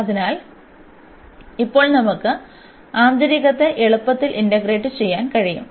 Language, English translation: Malayalam, So now, we can easily integrate the inner one